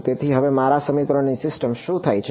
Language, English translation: Gujarati, So, what happens to my system of equations now